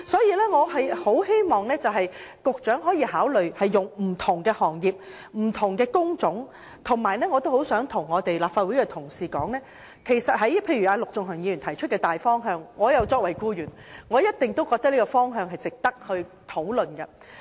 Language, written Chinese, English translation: Cantonese, 因此，我很希望局長可以考慮不同行業和工種的情況，而我很想向立法會的同事提出的一點是，對於陸頌雄議員提出的大方向，我作為僱員一定認為有關方向值得討論。, In view of the foregoing I very much hope that the Secretary can take into account the situations of different trades and types of jobs and the point that I wish to get across to Honourable colleagues of the Legislative Council is that regarding the broad direction proposed by Mr LUK Chung - hung I as an employee definitely consider that it merits discussion